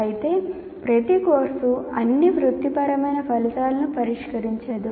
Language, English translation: Telugu, Not every course will address all these professional outcomes, at least some of them